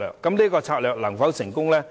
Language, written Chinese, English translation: Cantonese, 這個策略能否成功？, Will this strategy work?